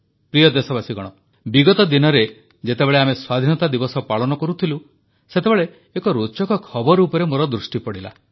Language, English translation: Odia, Dear countrymen, a few weeks ago, while we were celebrating our Independence Day, an interesting news caught my attention